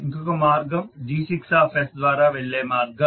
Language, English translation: Telugu, Other path can be the path which is going via G6s